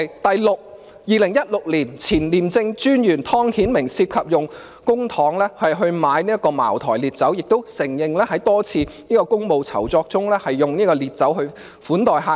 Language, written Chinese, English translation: Cantonese, 第六個例子，前廉政專員湯顯明涉嫌用公帑購買茅台烈酒，亦承認在多次公務酬酢中用烈酒款待客人。, The sixth example is Mr Timothy TONG the former Commissioner of the Independent Commission Against Corruption ICAC who allegedly purchased Maotai a kind of hard liquor with public money and admitted using hard liquor to serve guests in several official entertainments